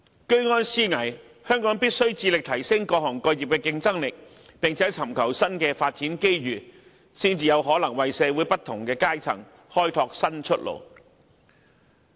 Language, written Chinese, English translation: Cantonese, 居安思危，香港必須致力提升各行各業的競爭力，並且尋求新的發展機遇，才能為社會不同階層開拓新出路。, Hong Kong must be aware of the dangers ahead and strive to upgrade the competitiveness of all sectors and seek new opportunities for development . It is only in this way that our society can open up new avenues for different strata